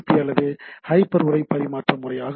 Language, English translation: Tamil, So, it is the hyper HTTP or hyper text transfer protocol